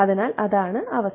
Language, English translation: Malayalam, So, that is the condition